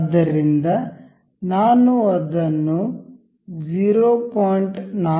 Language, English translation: Kannada, So, I am selecting 0